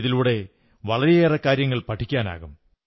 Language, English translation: Malayalam, This experience will teach you a lot